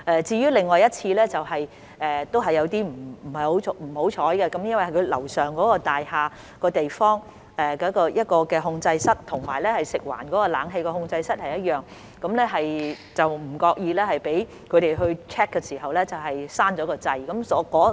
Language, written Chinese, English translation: Cantonese, 至於另一次則有點不幸，由於樓上那座大廈的控制室與食環署的冷氣控制室是一樣的，有關大廈的人員在那裏 check 的時候不為意關掉了街市的冷氣。, The other occasion was a bit unfortunate because the control room of the building upstairs was the same as the air - conditioning control room of FEHD and the staff of the building inadvertently switched off the air - conditioning of the Market when they were conducting a check there